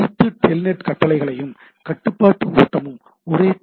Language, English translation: Tamil, So, all TELNET commands and control flow throw the same TCP connection